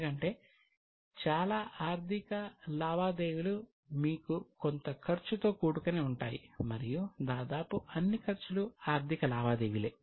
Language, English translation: Telugu, Many times, yes, because most of the financial transactions may give you some cost and almost all the costs are financial transactions